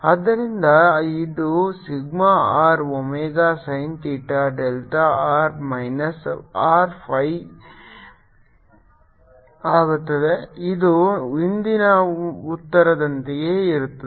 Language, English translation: Kannada, so this is becomes sigma r, omega, sin theta, delta, r minus r, phi, which is need the same answer as ear list